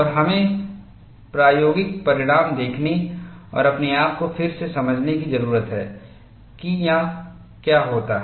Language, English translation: Hindi, And we need to see the experimental result and re convince ourself this is what happens